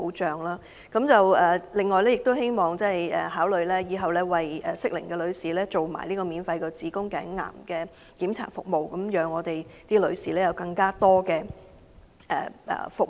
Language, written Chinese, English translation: Cantonese, 此外，希望政府亦會考慮在日後為適齡女士進行免費子宮頸癌檢查服務，藉以為女士提供進一步服務。, In addition I also urge the Government to provide free cervical cancer screening programme for all women of the relevant age in the future so that women will be benefited from more services